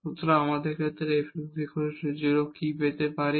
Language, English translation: Bengali, So, we will get what is f x is equal to 0 in this case